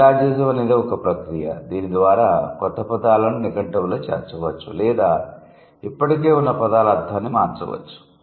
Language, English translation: Telugu, It's a process by which new words can be added to the lexicon or the meaning of already existing words can be changed